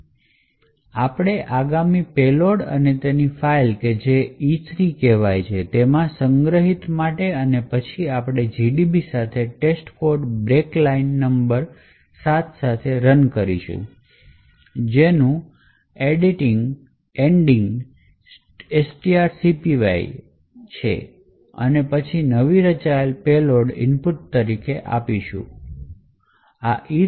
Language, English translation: Gujarati, So, we say next payload and store it in this file called E3 and then we run GDB with test code break at line number 7 which comprises which is end of string copy and then run giving the newly formed payload as the input